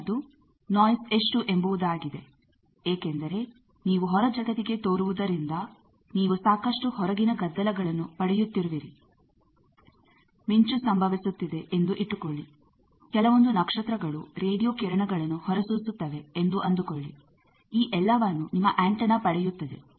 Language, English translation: Kannada, The next is how much noise because since you are opening up to the outside world, you are also giving or taking lot of outside noises, suppose a lightening takes place, suppose some star is radiating radio star all those your antenna is picking up